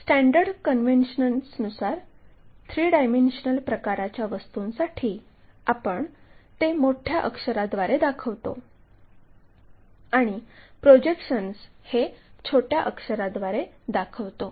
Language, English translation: Marathi, Our standard convention is this three dimensional kind of objects we show it by capital letters and projections by small letters